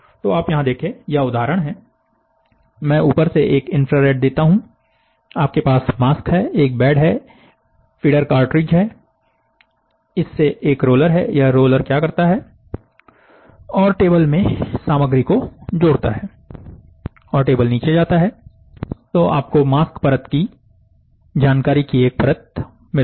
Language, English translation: Hindi, So, you see here, this is what is the example, I give an infrared from the top, you have a mask, then you have a bed, you have a, this is a feeder cartridge from the feeder cartridge, this is a roller, this rolls and add materials to the table and the table sinks